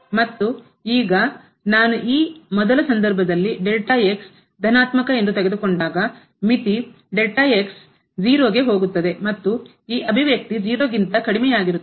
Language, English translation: Kannada, And now, I will take in this first case when I have taken here the positive the limit that goes to and this expression and the less than